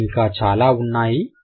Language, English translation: Telugu, There would be more